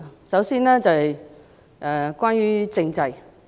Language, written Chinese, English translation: Cantonese, 首先，關於政制。, First the constitutional system